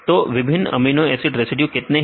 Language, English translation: Hindi, So, how many different amino acid residues